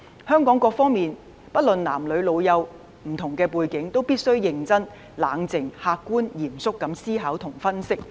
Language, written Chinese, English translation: Cantonese, 香港各方面，不論男女老幼及不同背景，都必須認真、冷靜、客觀、嚴肅思考及分析。, Various sectors in Hong Kong regardless of gender age and background must all engage in serious calm objective and solemn thinking and analysis